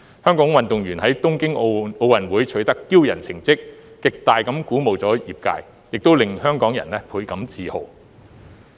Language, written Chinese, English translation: Cantonese, 香港運動員在東京奧運會取得驕人的成績，極大地鼓舞了業界，也令香港人倍感自豪。, The industry is greatly encouraged by the remarkable achievements made by Hong Kong athletes in the Tokyo Olympics . Hong Kong people are very proud of them